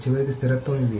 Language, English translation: Telugu, They are eventually consistent